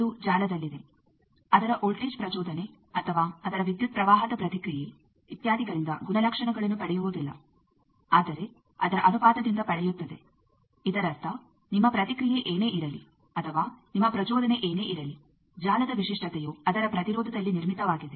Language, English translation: Kannada, It is in network does not get characterized by it is voltage excitation or it is current response etcetera, but the ratio of that; that means, whatever may be your response or whatever may be your excitation, the characteristic of the network is in built in it is impedance